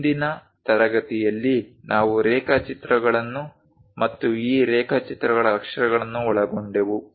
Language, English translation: Kannada, So, in today's class, we have covered drawing instruments and lettering of these drawings